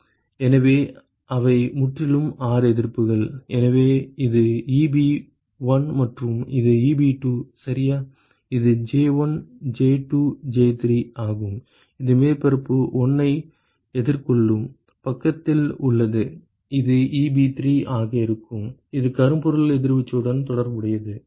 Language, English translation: Tamil, So, they are totally 6 resistances so, this is Eb1 and, this is Eb2 ok, this is J1, J2, J3 that is on the side which is facing surface 1 and, this will be Eb3 that is the corresponding blackbody radiation for the third surface and, this is J32 and this is J2